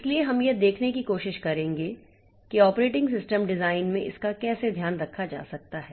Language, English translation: Hindi, So, we will try to see how this can be taken care of in the operating system design